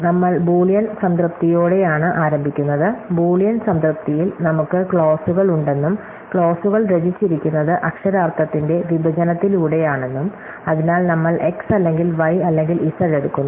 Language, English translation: Malayalam, So, we start with Boolean satisfiability, recall that in Boolean satisfiability, we have clauses, clauses are composed by disjunction of literals, so we take x or not y or z